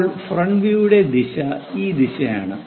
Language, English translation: Malayalam, Now, the direction for front view is this direction